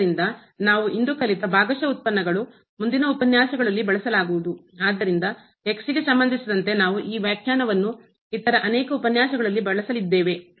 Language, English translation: Kannada, So, what we have learnt today which will be used in following lectures is the Partial Derivatives; so, it with respect to this definition we are going to use in many other lectures